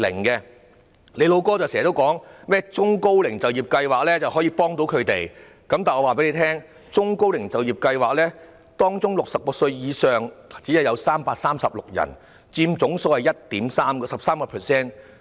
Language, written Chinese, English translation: Cantonese, 局長經常說甚麼中高齡就業計劃可以協助他們，但我告訴他，中高齡就業計劃參加者中的66歲以上長者只有336人，佔總數 13%。, The Secretary often says that the Employment Programme for the Elderly and Middle - aged EPEM can help them but let me tell him that the number of participants aged over 66 in EPEM is only 336 accounting for 13 % of the total